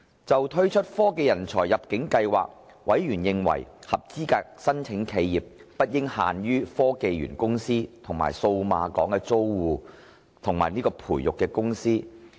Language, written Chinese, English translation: Cantonese, 就推出科技人才入境計劃，委員認為合資格申請企業不應限於科技園公司和數碼港的租戶及培育公司。, Concerning the introduction of the Technology Talent Admission Scheme TechTAS members considered that eligible TechTAS applicants should not be limited to tenants and incubatees of HKSTPC and Cyberport